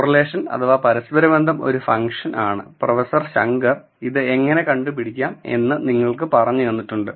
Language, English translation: Malayalam, So, correlation is a function and Professor Shankar has told you how it is computed